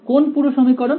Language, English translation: Bengali, Which whole equation